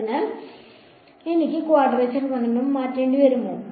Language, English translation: Malayalam, So, will I have to change the quadrature rule